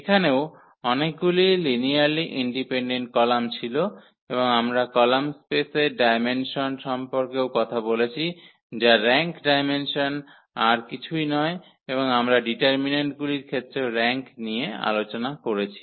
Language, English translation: Bengali, There was a number of linearly independent columns, and we can also talk about the dimension of the column space that is nothing but the rank dimension of the row space that also is the rank and we have also discussed the rank in terms of the determinants